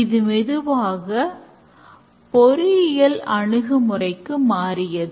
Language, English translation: Tamil, And slowly it transits to an engineering approach